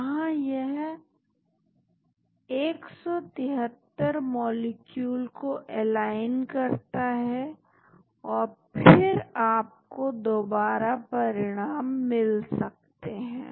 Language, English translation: Hindi, Here, it aligns 3 molecules at a time and then again you can get results